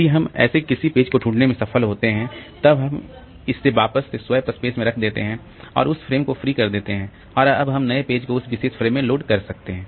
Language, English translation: Hindi, So, if we can find such a page then we will put it back onto the swap space and free that frame and we can load that, load the new page that is required into that particular frame